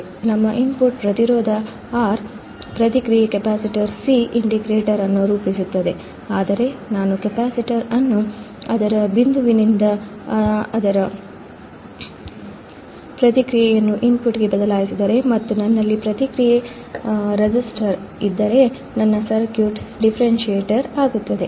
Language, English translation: Kannada, Our input resistance R, feedback capacitor C forms the integrator, but if I change the capacitor from its point its feedback to the input, and I have feedback resistor then my circuit will become a differentiator